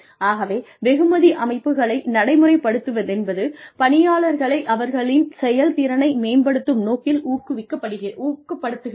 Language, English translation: Tamil, So, the reward systems, that are put in place, can further motivate employees, to improve their performance